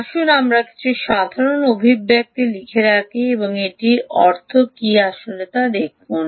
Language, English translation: Bengali, lets put down some simple expressions and see actually what it means